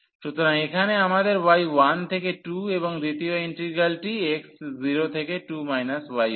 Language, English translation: Bengali, So, here we have the y from 1 to 2 and the second integral x 0 to 2 minus y